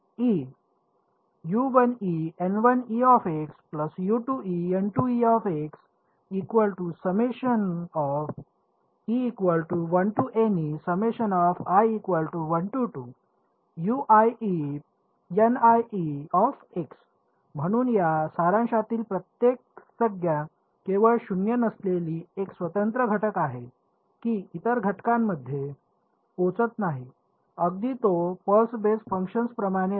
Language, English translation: Marathi, So, every term in this summation is non zero only in it is a own element it does not spill over into the other element right it is like pulse basis function